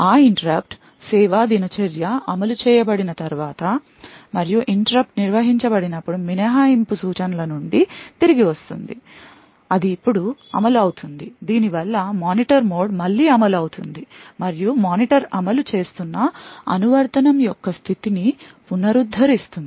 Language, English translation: Telugu, After that interrupt service routine is executed and the interrupt gets handled there is a return from exception instruction that gets executed now this would result in the Monitor mode getting executed again and then the monitor would restore the state of the application that is executing